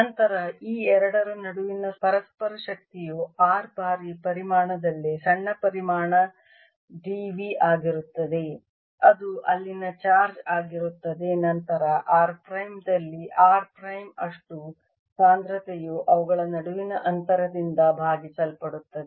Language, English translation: Kannada, then the interaction energy between these two is going to be density at r times volume, small volume d v that is the charge there then density at r prime, primes of volume at r prime, divided by the distance between them